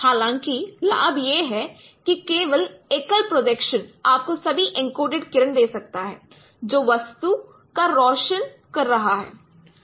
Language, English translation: Hindi, But however, the advantage is that only single projection can give you all the encoded ray which is illuminating the object